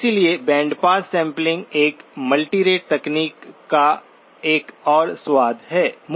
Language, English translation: Hindi, So bandpass sampling is another flavour of a multirate technique